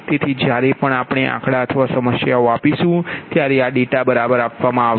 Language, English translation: Gujarati, so whenever we are giving numericals or problems, this data will be provided right